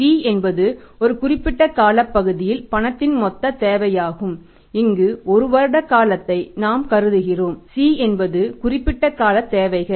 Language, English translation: Tamil, Then T is the total requirement of the cash over a period of time and we assume here the period of one year